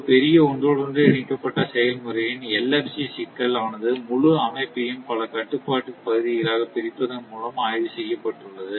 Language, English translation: Tamil, So, LFC problem of a large interconnected process you have been studied by dividing the whole system into a number of control areas